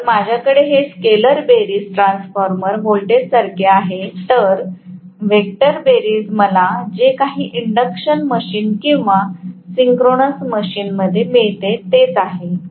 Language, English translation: Marathi, So, I have to this scalar sum is similar to the transformer voltage, whereas the vector sum is whatever I get in induction machine or synchronous machine